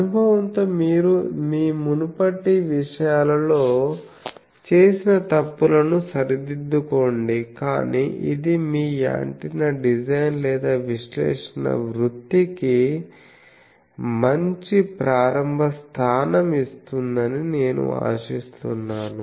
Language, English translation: Telugu, The obviously, with experience you will rectify those mistakes that you commit in your earlier things, but this will I hope will give you a good starting point for your antenna design or analysis career